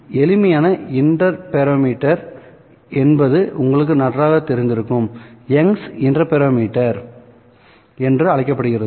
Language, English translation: Tamil, Perhaps the simplest interferometers that you are familiar with is the so called Eng's interferometer, right